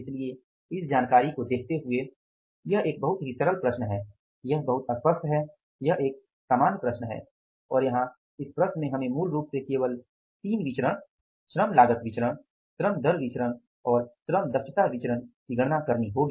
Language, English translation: Hindi, So, looking at this information, it is a very simple problem, is very clear, it is a plain problem and here in this problem we will have to calculate only originally three variances, labour cost variance, labour rate of pay variance and labour efficiency variance and fourth variance will be labour idle time variance